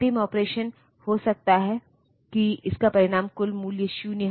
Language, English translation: Hindi, The last operation maybe it has resulted in the value being total is 0